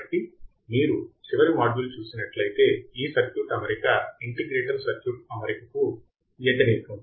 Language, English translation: Telugu, So, if you have seen the last module, its configuration is opposite to an integrator